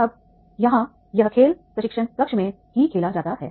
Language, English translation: Hindi, Now, here this game is played into the, in the training room itself